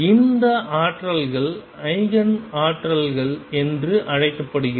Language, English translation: Tamil, These energies are known as the Eigen energies